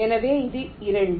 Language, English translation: Tamil, this is two